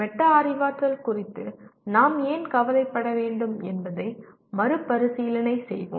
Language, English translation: Tamil, Let us reemphasize why should we be concerned about metacognition